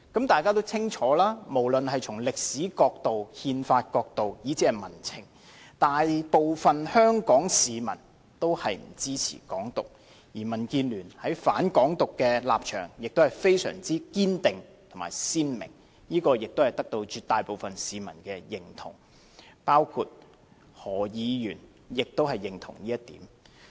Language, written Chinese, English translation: Cantonese, 大家也清楚，無論從歷史角度、憲法角度，以至民情來看，大部分的香港市民均不支持"港獨"，而民主建港協進聯盟在"反港獨"的立場亦非常堅定和鮮明，這也得到絕大部分市民的認同，包括何議員也認同這點。, It is also clear to everyone that most Hong Kong people do not support Hong Kongs seeking independence either from a historical point of view or a constitutional point of view or as far as public sentiment is concerned . In this regard the Democratic Alliance for the Betterment and Progress of Hong Kong has taken an unwavering stance which is clearly defined and supported by a vast majority of the general public including Dr Junius HO